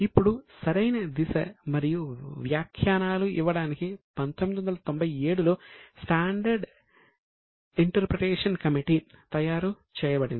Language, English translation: Telugu, Now to give proper direction and interpretation, standard interpretation committee was made in 97